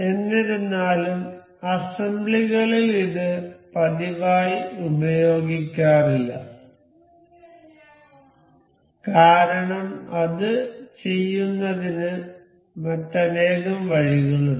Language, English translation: Malayalam, However, this is not very frequently used in assemblies, because there are many roundabouts too for doing that